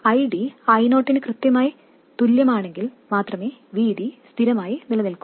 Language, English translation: Malayalam, VD will stay constant only if ID exactly equals I0